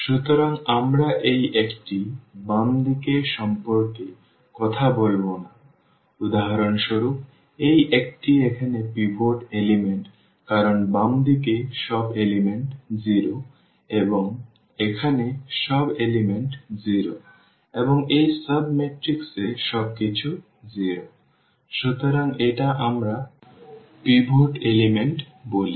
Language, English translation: Bengali, So, we will not be talking about the left to this one for instance this one here this is the pivot element because everything to the left all the elements are 0 and here also all the elements are 0 and in this sub matrix everything is 0; so this is we call the pivot element